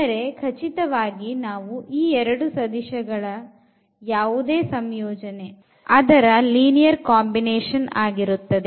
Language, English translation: Kannada, So, certainly by any combination of these two vectors or rather we usually call it linear combination